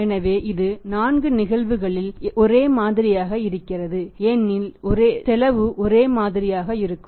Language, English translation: Tamil, So, that is same in all the 4 cases because cost will remain the same